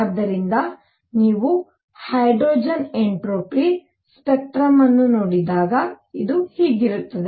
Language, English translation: Kannada, So, when you look at a hydrogen spectrum, this is what it is going to look like